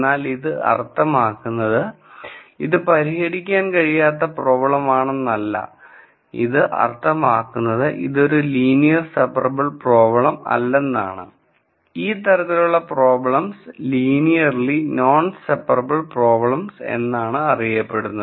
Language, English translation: Malayalam, However, this does not mean this is not a solvable problem it only means that this problem is not linearly separable or what I have called here as linearly non separable problems